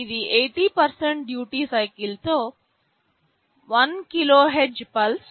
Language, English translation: Telugu, This is a 1 KHz pulse with 80% duty cycle